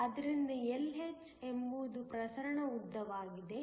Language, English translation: Kannada, So, Lh is the diffusion length